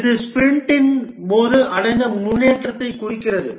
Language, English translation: Tamil, This represents the progress achieved during the sprint